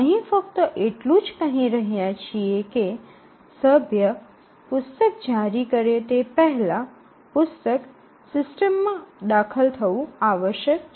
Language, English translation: Gujarati, So, just mark here we are just saying that before the member can issue the book the book must have been entered into the system